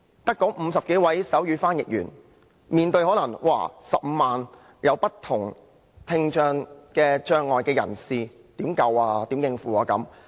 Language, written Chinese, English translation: Cantonese, 但只有50多位手語翻譯員，怎可能足以應付15萬名有不同聽障障礙人士的需要呢？, But since there are only 50 - odd sign language interpreters in Hong Kong they asked how can it be possible to cope with the need of 150 000 people with varying degrees of hearing impairment?